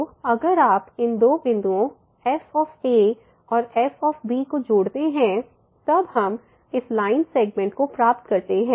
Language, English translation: Hindi, So, if you join these two points at and at then we get this line segment